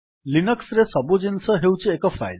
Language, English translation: Odia, In Linux, everything is a file